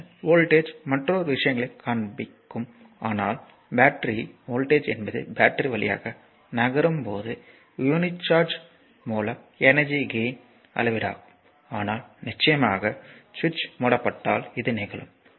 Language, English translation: Tamil, Later will see the your voltage another things , but the battery voltage is a measure of the energy gain by unit of charge as it moves through the battery, but of course, if the switch is switch is closed right